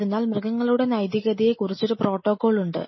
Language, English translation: Malayalam, So, there is a whole protocol about animal ethics